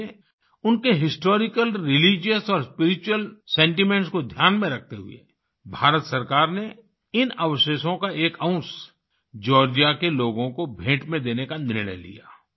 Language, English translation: Hindi, That is why keeping in mind their historical, religious and spiritual sentiments, the Government of India decided to gift a part of these relics to the people of Georgia